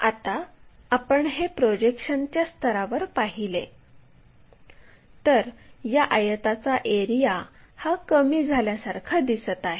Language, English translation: Marathi, Now, at projection level if you are seeing that it looks like the area of that rectangle is drastically reduced